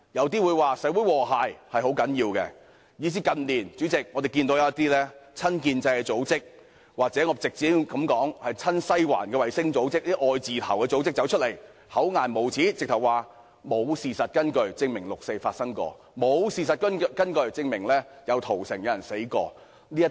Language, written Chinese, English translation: Cantonese, 代理主席，我們近年甚至看到有一些親建制組織，或我稱之為親西環的衞星組織或"愛字頭"組織走出來，厚顏無耻地說沒有事實根據證明曾經發生過六四事件，以及曾經發生過屠城和死亡事件。, Deputy President in recent years we have even seen some pro - establishment organizations or what I refer to as pro - Sai Wan satellite organizations or love Hong Kong organizations come forward and claim without any shame that no evidence points to the fact that the 4 June incident happened and the massacre and deaths happened